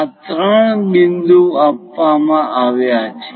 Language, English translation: Gujarati, These three points are given